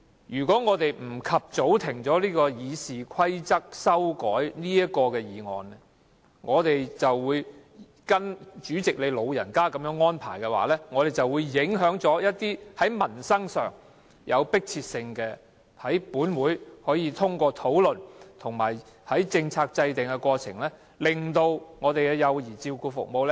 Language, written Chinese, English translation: Cantonese, 如果不及早中止這項修改《議事規則》議案的辯論，我們就得跟從主席你的安排，以致就一項迫切民生議題的討論受到影響，無法在本會透過討論和制訂政策的過程改善幼兒照顧服務。, If this debate on amending RoP is not stopped as soon as possible we will have to follow the arrangements set out by you President and this will affect a discussion on an urgent issue concerning peoples livelihood and render our Council unable to improve child care services through the process of discussion and policy formulation